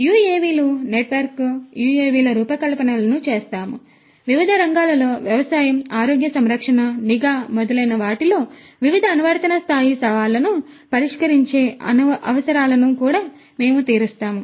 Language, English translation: Telugu, We do designs of UAVs, network UAVs, we also cater to the requirements solving different application level challenges in different sectors, agriculture, healthcare, surveillance and so on